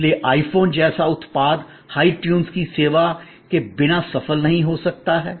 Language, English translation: Hindi, So, the product like an I phone cannot be the successful without the service of hi tunes